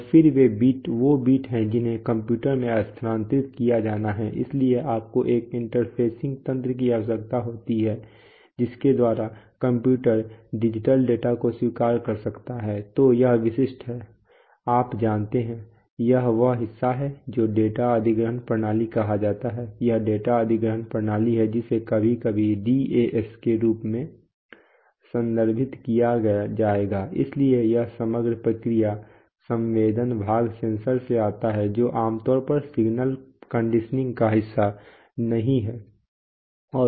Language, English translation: Hindi, And then, that those lines are those bits have to be transfer, transferred to the computer, so you need an interfacing mechanism by which the computer can accept the digital data, so these are the typical, you know, this is the part which is called the data acquisition system, this is the data acquisition system which will sometimes refer to as the DAS, so this overall process, what, does it, the sensing part is comes from the sensor which is typically not a, not part of the signal conditioning